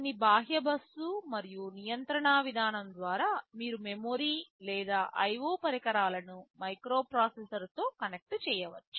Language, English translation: Telugu, There are some external bus and control mechanism through which you can connect memory or IO devices with the microprocessor